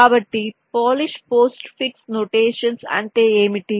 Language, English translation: Telugu, so what is polish post fix notations